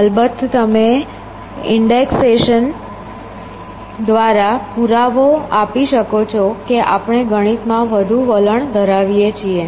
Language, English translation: Gujarati, Of course, you can give a proof by indexation we are more mathematically inclined